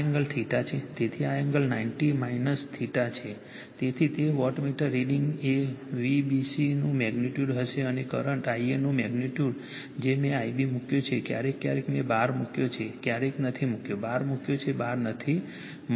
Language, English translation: Gujarati, So, this angle is ninety degree minus theta , right; therefore, , that wattmeter reading will be the magnitude , of the v b c and magnitude of the current I a I have put I b , occasionally, I have put bar sometimes does not ,, put bar didn't put bar